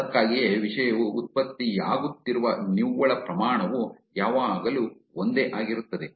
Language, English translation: Kannada, That is why the proportion of the net the content is getting generated is always remaining the same